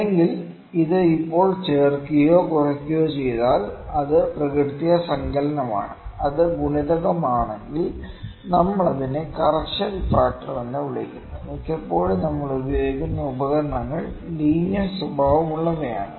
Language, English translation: Malayalam, Or if it is just added or subtracted, it is additive in nature, additive; if it is multiplicative we call it correction factor, this is correction factor, most of the times instruments which we are using are linear in nature